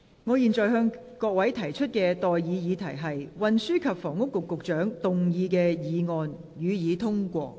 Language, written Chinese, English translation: Cantonese, 我現在向各位提出的待議議題是：運輸及房屋局局長動議的議案，予以通過。, I now propose the question to you and that is That the motion moved by the Secretary for Transport and Housing be passed